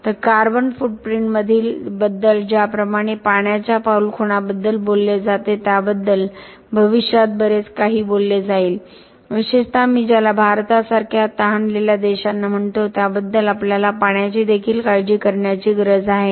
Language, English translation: Marathi, So, the water footprint just like the carbon footprint is talked about will be talked about a lot in future especially for what I call thirsty countries like India, we need to worry about water as well